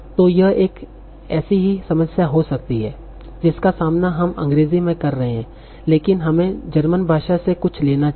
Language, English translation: Hindi, So that might be a similar problem that we are facing in English, but let us take something in German